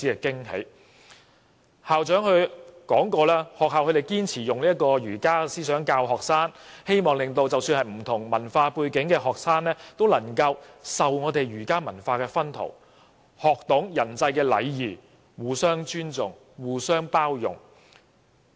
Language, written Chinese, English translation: Cantonese, 該中學的校長向我們表示，學校堅持以儒家思想教導學生，即使學生有不同文化背景，也希望他們受到儒家文化薰陶，學懂人際禮儀、互相尊重和包容。, The principal told us that the schools mission is to impart the teachings of Confucianism to the students . Although the students may have different cultural backgrounds they can all benefit from the Confucius culture by learning about interpersonal relationships etiquette mutual respect and inclusion